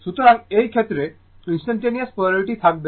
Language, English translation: Bengali, So, in this case, instantaneous polarity will be there